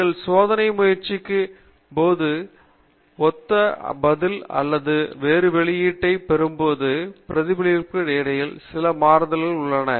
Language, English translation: Tamil, It is very unlikely that when you repeat the experiment you will get the identical response or the identical output, there is going to some amount of deviation between the responses